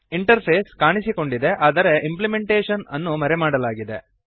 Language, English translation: Kannada, The interface is seen but the implementation is hidden